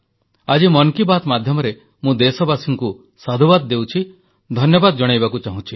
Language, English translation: Odia, Today, through the Man Ki Baat program, I would like to appreciate and thank my countrymen